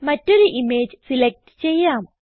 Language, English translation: Malayalam, Let us select another image